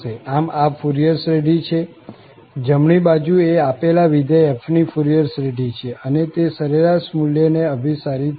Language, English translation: Gujarati, So, this is the Fourier series, the right hand side is the Fourier series of the given function f and it will converge to this average value